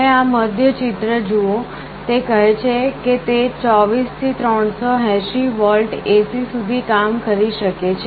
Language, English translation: Gujarati, You see this is the middle one, it says that it works from 24 to 380 volts AC